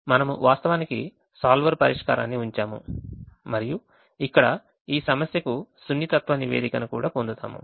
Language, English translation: Telugu, we have actually used keep the solver solution and there we also get the sensitivity report for this problem